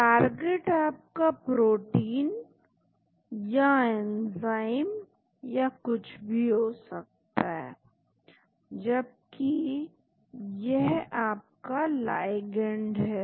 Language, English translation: Hindi, Target is your protein or enzyme or whatever it is Whereas this is the ligand